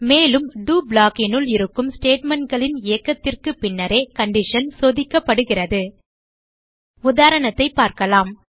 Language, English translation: Tamil, And so the condition is checked after the execution of the statements inside the do block Now let us see an example